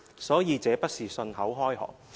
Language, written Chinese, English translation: Cantonese, 所以，這不是信口開河。, So this is not just idle talk